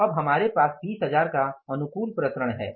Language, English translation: Hindi, So, now we have the favourable variance of 20,000s